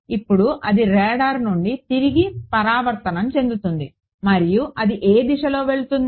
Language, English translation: Telugu, Now it reflects back from the radar and it goes into which direction the